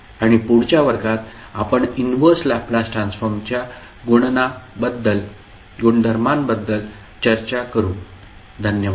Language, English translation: Marathi, And the next class we will discuss about the calculation of inverse Laplace transform thank you